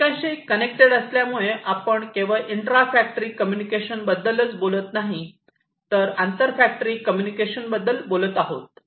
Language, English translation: Marathi, And so we here because it is interconnected, if you know we are talking about not only intra factory communication, but also inter factory communication